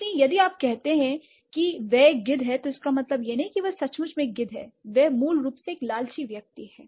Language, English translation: Hindi, So, if you say he is a vulture, that doesn't mean that he is literally a vulture, he is basically a greedy person